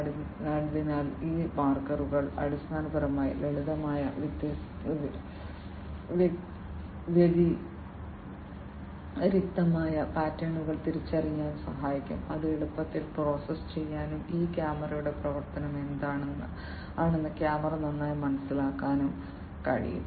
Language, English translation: Malayalam, So, these markers basically will help in recognizing simple distinctive patterns, which can be easily processed and the camera is well understood what is the functioning of this camera